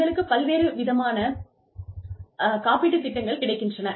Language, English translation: Tamil, You could have various insurance plans